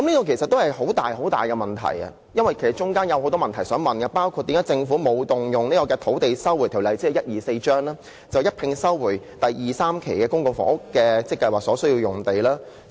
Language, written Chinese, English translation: Cantonese, 這涉及很大的問題，大家亦有很多問題想問，包括為何政府沒有動用《收回土地條例》，一併收回第2、3期發展計劃所需的房屋用地？, Was it because the rural powers were involved? . How come only local residents were affected? . As serious problems were involved people also wanted to raise a lot of questions such as why did the Government not invoke the Lands Resumption Ordinance Cap